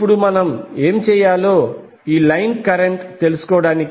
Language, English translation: Telugu, Now to find out the line current what we have to do